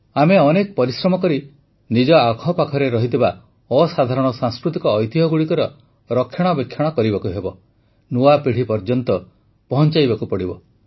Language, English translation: Odia, We have to work really hard to enrich the immense cultural heritage around us, for it to be passed on tothe new generation